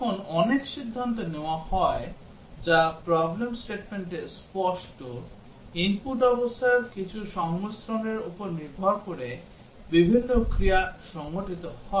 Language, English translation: Bengali, When there is lot of decision making which is obvious in the problem statement, different actions take place depending on some combinations of the input conditions